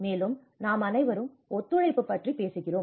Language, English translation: Tamil, Also, we all talk about the collaboration and cooperation